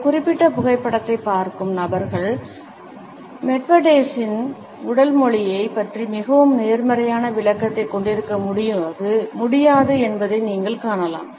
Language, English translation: Tamil, You would find that people who look at this particular photograph would not be able to have a very positive interpretation of Medvedevs body language